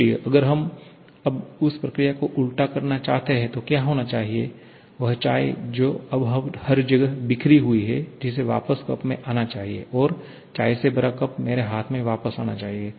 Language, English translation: Hindi, So, if we want to now reverse that process, then what should happen, that tea which is now scattered everywhere that should come back to the cup and that cup filled with tea should come back to my hand